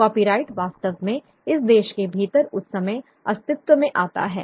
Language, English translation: Hindi, Copyright really comes into being at that point of time within this country